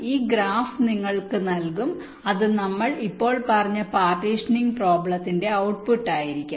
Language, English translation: Malayalam, you will be given this graph, which will be the output of the partitioning problem